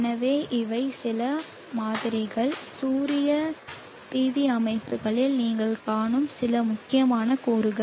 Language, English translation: Tamil, So these are some of the sample some of the important components that you will see in the solar PV systems